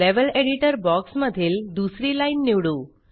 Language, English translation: Marathi, Lets select the second line in the Level Editor box